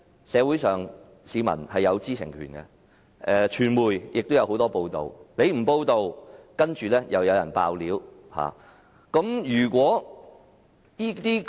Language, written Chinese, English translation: Cantonese, 市民有知情權，傳媒亦有很多報道，即使政府不公布，亦有人"爆料"。, Members of the public have the right to know and there are many media reports so even if the Government refuses to make public certain information someone will spill the beans